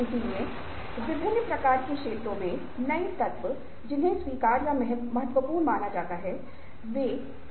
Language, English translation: Hindi, so the element of new in a wide variety of fields which are accepted or considered as significant, is what we consider generically as a significant creative